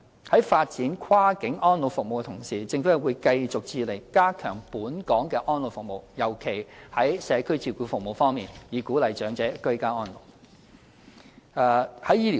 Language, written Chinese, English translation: Cantonese, 在發展跨境安老服務的同時，政府會繼續致力加強本港的安老服務，尤其在社區照顧服務方面，以鼓勵長者居家安老。, While developing cross - boundary elderly care services the Government will continue with its effort in strengthening elderly care services in Hong Kong especially community care service so as to encourage ageing in place . Next comes the issue of medical support